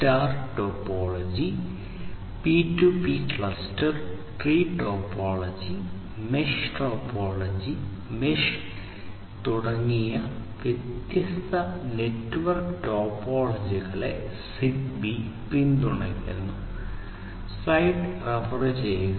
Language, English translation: Malayalam, And, ZigBee supports different network topologies such as the star topology, P2P cluster tree topology and mesh topology and the mesh is the one of the most widely used topologies using ZigBee